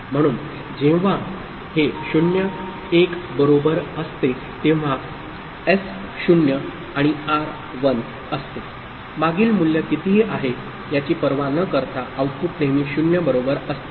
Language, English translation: Marathi, So, when this is 0 1 right, S is 0 and R is 1, irrespective of what is the previous value the output is always 0, right